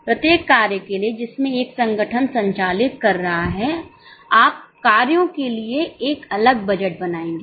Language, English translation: Hindi, There is low limit for each function in which an organization is operating, you will make a separate budget for the function